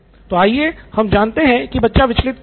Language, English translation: Hindi, So, let’s say why is he distracted